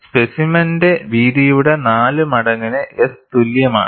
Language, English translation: Malayalam, S equal to 4 times the width of the specimen